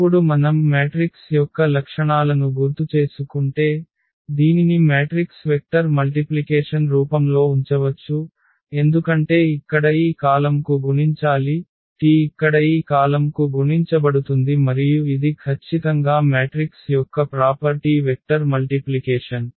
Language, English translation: Telugu, And now this if we if we recall the properties of the matrix which we can put this in the form of matrix vector multiplication because s is multiplied to this column here, t is multiplied to this column here and that is exactly the property of the matrix vector multiplication